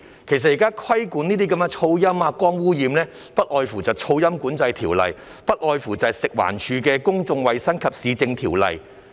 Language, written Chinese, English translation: Cantonese, 其實，現在規管這些噪音、光污染等的，不外乎是《噪音管制條例》，不外乎是食環署的《公眾衞生及市政條例》。, In fact issues like noise and light pollution are currently regulated by the Noise Control Ordinance and the Public Health and Municipal Services Ordinance of FEHD